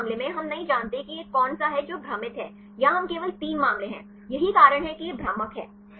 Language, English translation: Hindi, In this case, we do not know which one is this one is confusing; here we is only three cases; this is why it is confusing